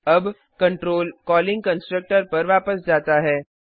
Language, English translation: Hindi, Now, the control goes back to the calling constructor